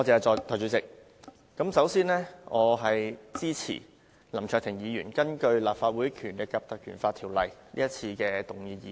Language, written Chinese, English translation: Cantonese, 代理主席，我支持林卓廷議員根據《立法會條例》動議的議案。, Deputy President I rise to speak in support of the motion moved by Mr LAM Cheuk - ting under the Legislative Council Ordinance